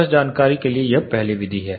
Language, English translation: Hindi, Just for information this is the first method